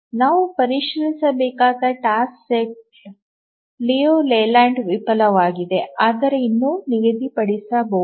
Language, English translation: Kannada, And we need to check if a task set fails Liu Leyland but still it is schedulable